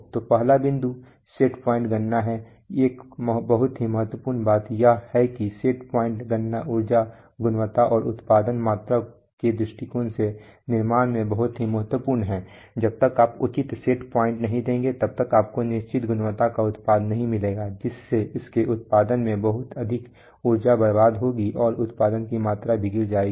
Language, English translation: Hindi, So first point is set point computation one very important thing is that set point computation is very important in manufacturing from the point of view of energy quality and production volume, unless you give proper set points you will not get product of certain quality, you may be wasting lot of energy in producing it, and the amount of production will also fall